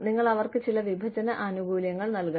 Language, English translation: Malayalam, You have to give them, some separation benefits